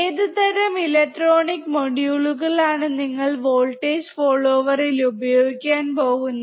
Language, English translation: Malayalam, In which kind of electronic modules are you going to use voltage follower